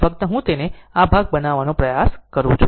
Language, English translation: Gujarati, Just I am trying to make it this part, right